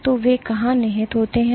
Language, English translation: Hindi, So, where do they lie